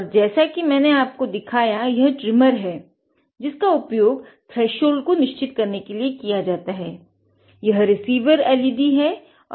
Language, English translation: Hindi, So, this is this is the trimmer that I showed you to adjust the threshold